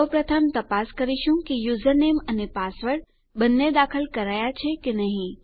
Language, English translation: Gujarati, First of all, we will check whether both the user name and the password were entered